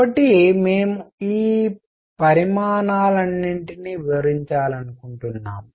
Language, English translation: Telugu, So, we want to relate all these quantities